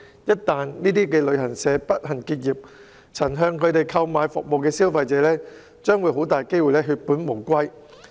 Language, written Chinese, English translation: Cantonese, 一旦該等旅行社不幸結業，曾向他們購買服務的消費者很大機會血本無歸。, Once these travel agents unfortunately close down it is very likely that the money of consumers who have purchased services from them will go down the drain